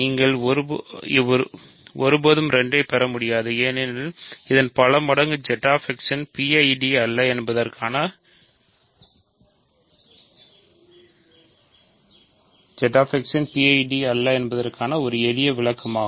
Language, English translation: Tamil, So, you can never obtain 2 as a multiple of this is a simple explanation for why Z X is not a PID